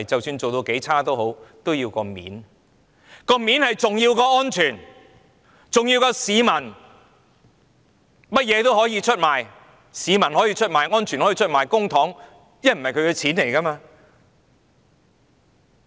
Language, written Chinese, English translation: Cantonese, 面子較安全重要、較市民重要，為了面子，甚麼也可以出賣，市民可以出賣、安全可以出賣、公帑也可以出賣。, Face comes before safety and the public . For the sake of saving face it can betray anything be it the public safety or public money